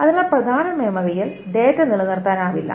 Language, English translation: Malayalam, So the data cannot be persistent in main memory